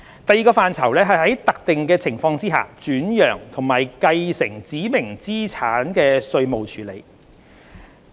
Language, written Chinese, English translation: Cantonese, 第二個範疇是在特定情況下轉讓及繼承指明資產的稅務處理。, The second one is the tax treatment for transfer or succession of specified assets under certain circumstances